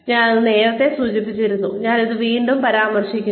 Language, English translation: Malayalam, I have mentioned this earlier, and I will mention it again